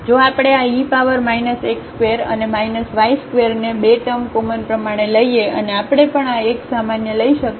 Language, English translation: Gujarati, So, if we take this e power minus x square and minus y square by 2 term common and also we can take this x common